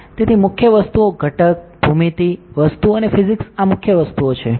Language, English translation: Gujarati, So, main things component, geometry, material and the physics these are the main things